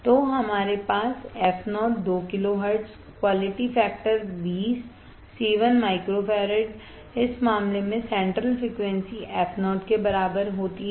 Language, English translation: Hindi, So, we fo = 2 kilo hertz quality factor 20 c equals to 1 microfarad in this case central frequency f o